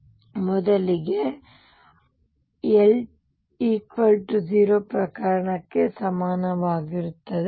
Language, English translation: Kannada, So, let me consider l equals 0 case first